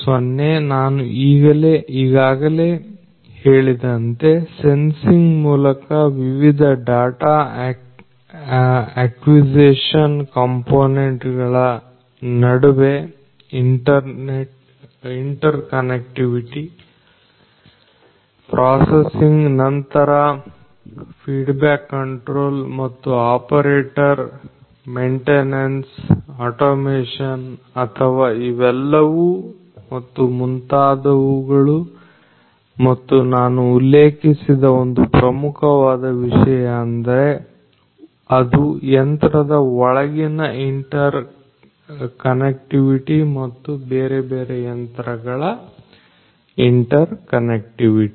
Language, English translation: Kannada, 0, I have told you already that you need the different the interconnectivity between the different components of data acquisition through sensing processing then the feedback control and also the operator maintenance automation or of all of these things and so on but one of the very important things that I did not mentioned which is also very important is the interconnectivity